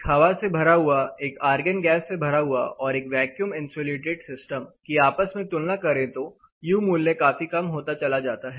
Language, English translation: Hindi, An air you know air filled versus argon versus a vacuum insulated system, the U value considerably comes down